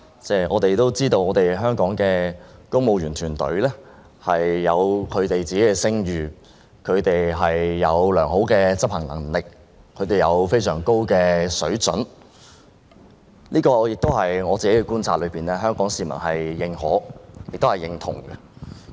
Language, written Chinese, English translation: Cantonese, 大家都知道，香港的公務員團隊有一定聲譽，有良好的執行能力和非常高的水準，據我觀察，這是香港市民認可和認同的。, We all know that the civil service of Hong Kong is a well - reputed team with great executive ability and of very high standard . As I observed this is something acknowledged and recognized by the Hong Kong public